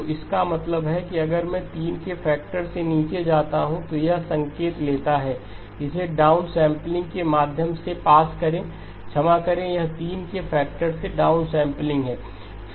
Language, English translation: Hindi, So which means that if I go down by a factor of 3 take this signal, pass it through a downsampling sorry it is downsampling by a factor of 3